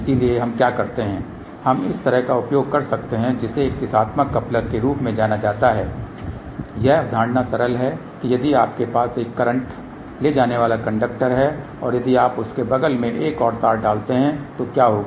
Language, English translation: Hindi, So, what we do we can use something like this which is known as a directional coupler , the concept is simple that if you have a current carrying conductor and if you put a another wire next to that so what will happen